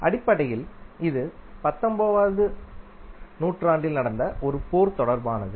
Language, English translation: Tamil, Basically this is related to a war that happened in late 19th century